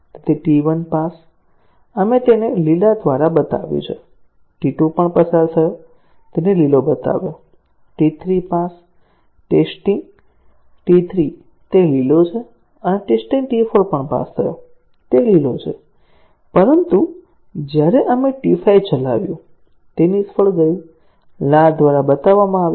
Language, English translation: Gujarati, So, T 1 passed; we have shown it by green; T 2 also passed, shown it by green; T 3 passed; test T 3, that is green and test T 4 also passed, that is green; but, when we ran T 5, it failed, shown by a red